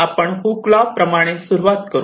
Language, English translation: Marathi, so we start with hookes law